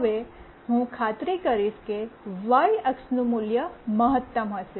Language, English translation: Gujarati, Now, I will make sure that the y axis value will be maximum